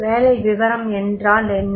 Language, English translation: Tamil, So, what is the job description